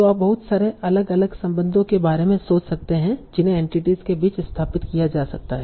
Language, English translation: Hindi, So you can think of lots and lots of different relations that can be established between entities